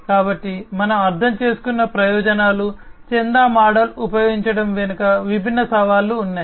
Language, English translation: Telugu, So, advantages we have understood, there are different challenges behind the use of the subscription model